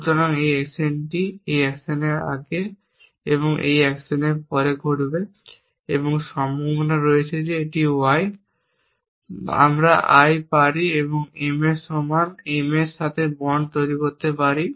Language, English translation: Bengali, So, this action happens after this action an before this action and there is the possibility that this y I can we made equal to M or bond to M then you can see the details destroying this casual link